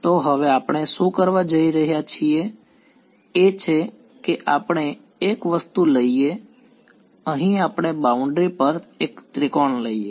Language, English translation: Gujarati, So, now what we are going to do is we let us take a object is over here let us take my one triangle on the boundary ok